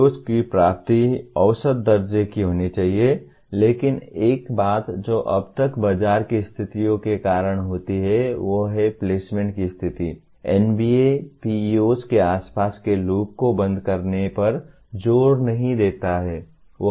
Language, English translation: Hindi, The attainment of PEOs should be measurable but one thing that happens as of now because of the market conditions are the placement conditions NBA does not insist on closing the loop around PEOs